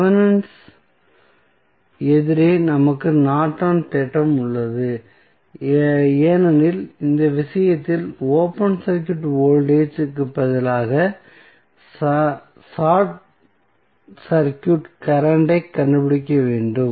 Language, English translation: Tamil, Opposite to the Thevenin's we have the Norton's theorem, because in this case, instead of open circuit voltage, we need to find out the circuit current